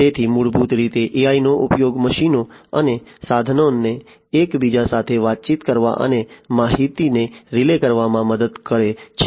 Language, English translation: Gujarati, So, basically, you know, use of AI helps the machines and equipments to communicate and relay information with one another